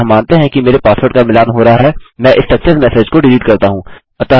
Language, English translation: Hindi, So assuming my passwords do match, let me echo this success message